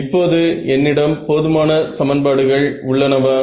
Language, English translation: Tamil, So, now, do I have enough equations